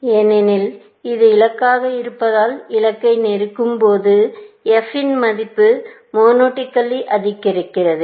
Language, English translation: Tamil, Since, this is, this goal, as go closer to the goal, the f value monotonically increases